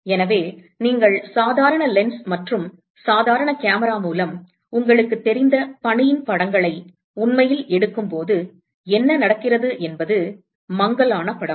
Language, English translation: Tamil, So, what happens is when you actually take pictures of snow you know with a normal lens and normal camera what you get is a blurred image